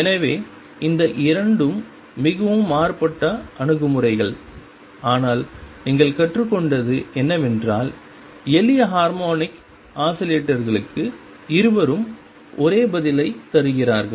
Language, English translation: Tamil, So, these 2 are very different approaches, but what you learnt is that for simple harmonic oscillators both give the same answers